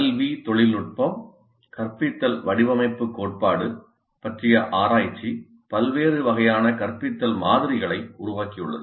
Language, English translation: Tamil, The research into the educational technology, instruction design theory has produced a wide variety of instructional models